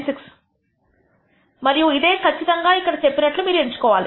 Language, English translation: Telugu, 96 and that is exactly what is stated here